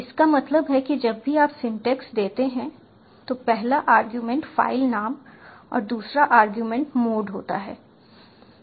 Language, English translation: Hindi, that means whenever you give the syntax open, first argument is filename and the second argument is mode the